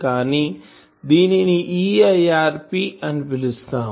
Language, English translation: Telugu, Now, what is the concept of EIRP